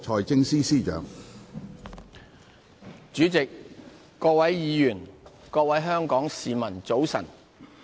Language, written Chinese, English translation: Cantonese, 主席、各位議員、各位香港市民，早晨。, President Honourable Members and fellow citizens good morning